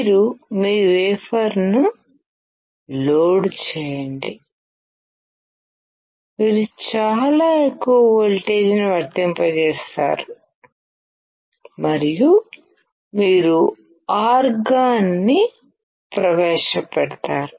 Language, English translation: Telugu, You load your wafer; you apply a very high voltage and you introduce argon